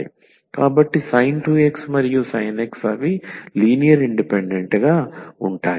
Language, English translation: Telugu, So, sin 2 x and sin x they are linearly independent